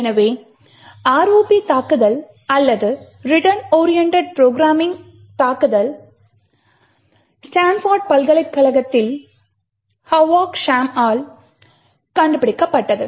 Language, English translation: Tamil, So, the ROP attack or return oriented programming attack was discovered by Hovav Shacham in Stanford University